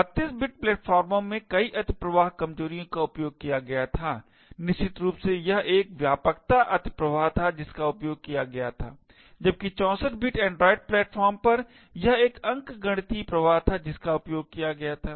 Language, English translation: Hindi, There were multiple overflow vulnerabilities that were exploited on 32 bit platforms essentially it was a widthness overflow that was exploited while on 64 bit android platforms it was an arithmetic overflow that was exploited